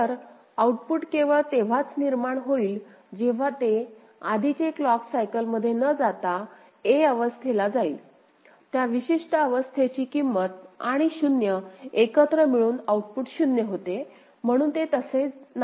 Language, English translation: Marathi, So, output will be generated only when of course, it goes to state a, not in the that previous clock cycle whatever actually was causing it that particular state value and 0 together output was 0; so it is not like that